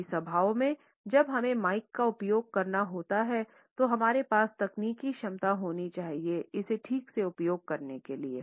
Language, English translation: Hindi, In large gatherings when we have to use the mike we should have the technical competence to use it properly